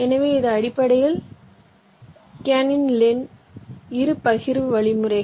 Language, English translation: Tamil, so this is basically what is kernighan lin by partitioning algorithm